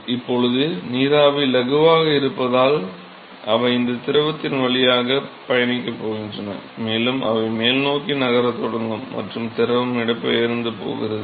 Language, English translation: Tamil, Now because the vapor is lighter, they are going to travel through this liquid, and they will start moving towards the upward side and the liquid is going to be displaced